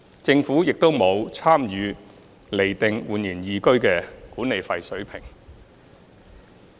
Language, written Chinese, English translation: Cantonese, 政府亦沒有參與釐定煥然懿居的管理費水平。, The Government was also not involved in the determination of the management fee level of eResidence